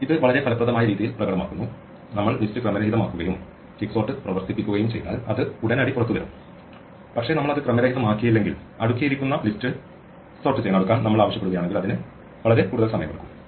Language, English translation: Malayalam, This just demonstrates in a very effective way that if we randomize the list and we run quicksort it comes out immediately, but if we do not randomize it and if we actually ask to sort the sorted list then it takes a long time